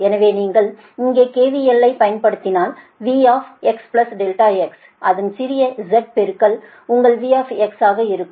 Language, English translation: Tamil, so if you, if you apply k v l here, then v x plus delta x will be its small z into delta x and plus your v x, right